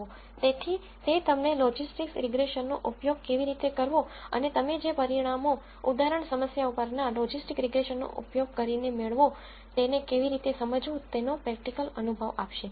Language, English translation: Gujarati, So, that will give you the practical experience of how to use logistics regression and how to make sense out of the results that you get from using logistics regression on an example problem